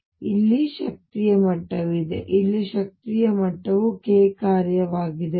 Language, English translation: Kannada, So, there is an energy level here, energy level here, energy level here for as a function of k